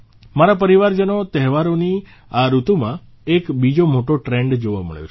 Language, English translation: Gujarati, My family members, another big trend has been seen during this festive season